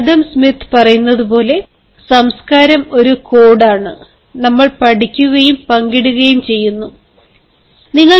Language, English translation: Malayalam, as adam smith says, culture is a code we learn and share